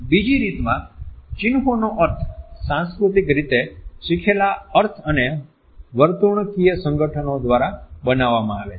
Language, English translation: Gujarati, The second way in which meaning of an emblem is constructed is through culturally learnt meanings and behavioral associations